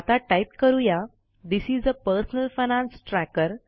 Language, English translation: Marathi, Now we type THIS IS A PERSONAL FINANCE TRACKER